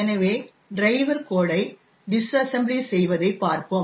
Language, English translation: Tamil, So, let us look at a disassembly of the driver code